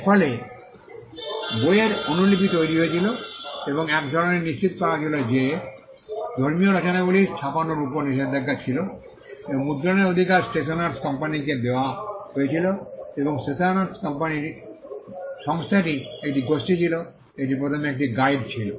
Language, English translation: Bengali, This led to copies of books being created and to ensure some kind of authenticity there was a ban on printing religious works and the right to print was given to the stationers company and stationers company was a group it was initially a guild, but later on it took up the job of printing books